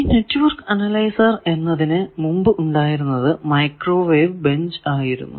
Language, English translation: Malayalam, Now, network analyzer it is predator was microwave benches